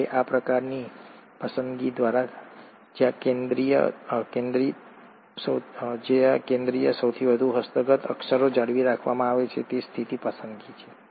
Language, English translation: Gujarati, Now such kind of a selection where the central most acquired characters are retained is a stabilizing selection